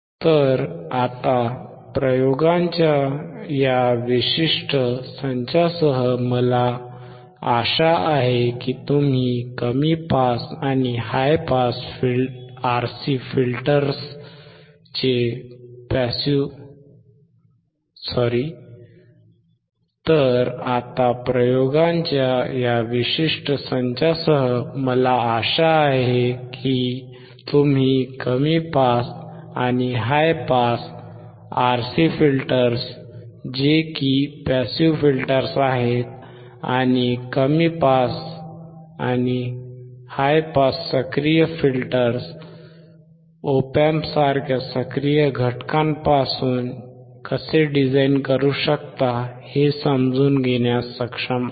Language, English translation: Marathi, So now with this particular set of experiments, I hope that you are able to understand how you can design a low pass and high pass RC filters that is passive filters, and low pass and high pass active filters that is RC and op amp